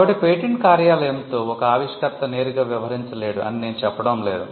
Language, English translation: Telugu, So, it is not that an inventor cannot directly deal with the patent office